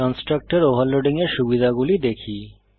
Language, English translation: Bengali, Let us see the advantage of constructor overloading